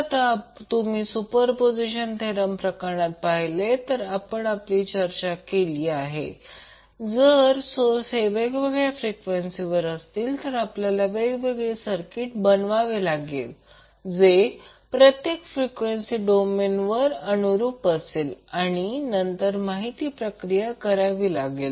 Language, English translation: Marathi, Now, if you see in case of superposition theorem we discussed that if there are sources with different frequencies we need to create the separate circuits corresponding to each frequency domain and then process the information